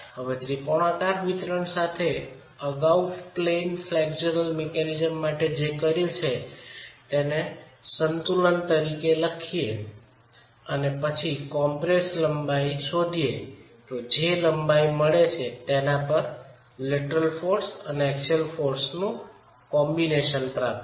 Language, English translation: Gujarati, With this triangular distribution we have done this earlier for the out of plane flexual mechanism we can write down the equilibrium and then get an estimate for the compressed length, ETA, which is the length over which the combination of lateral force and axial force is being achieved